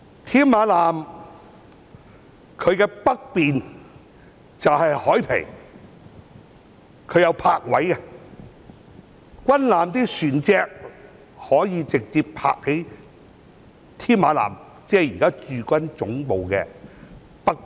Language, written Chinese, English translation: Cantonese, 添馬艦的北面是海傍，設有泊位，軍艦船隻可以直接停泊在添馬艦，即現時駐軍總部的北面。, To the north of Tamar was the harbourfront with berths where military vessels can be anchored directly at Tamar which is now the site to the north of the existing headquarters of the Hong Kong Garrison